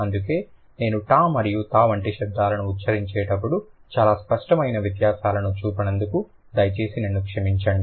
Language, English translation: Telugu, So, that's why please pardon me for not making the very clear distinctions when I order the sounds like t and t